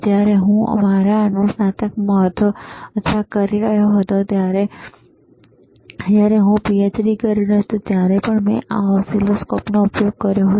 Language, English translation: Gujarati, wWhen I was in my undergrad, or when I was doing my post graduation, or even I when I was doing my PhD I used this oscilloscope